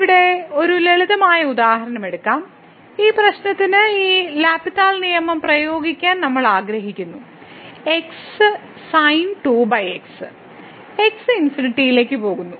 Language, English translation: Malayalam, So, let us take a simple example here, we want to apply this L’Hospital rule to this problem over and goes to infinity